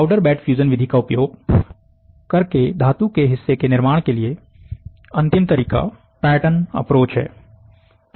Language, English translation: Hindi, The last approach to metal part creation using powder bed fusion method is, the pattern approach